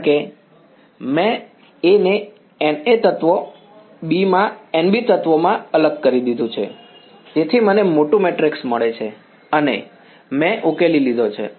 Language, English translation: Gujarati, Cross N A plus N B, because I have discretized A into N A elements B into N B elements, so I get the bigger matrix and I solved out